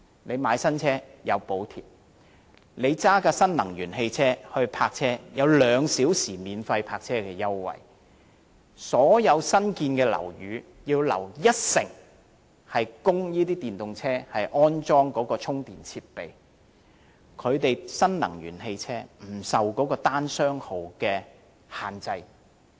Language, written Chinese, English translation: Cantonese, 購買新車有補貼；駕駛新能源汽車的車主可享有兩小時免費泊車優惠；所有新建樓宇需要預留一成地方供電動車安裝充電設備；新能源汽車不受單、雙號車牌限制。, Subsidy is granted to purchasers of new EVs; owners of new energy vehicles can enjoy free parking for two hours; 10 % of the total area has to be reserved in all new buildings for the installation of charging facilities for EVs; new energy vehicles will not be subject to the odd - even licence plate restriction on driving in the city